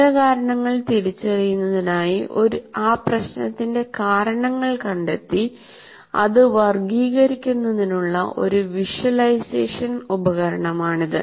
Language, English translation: Malayalam, It is a visualization tools for categorizing potential causes of a problem in order to identify the root causes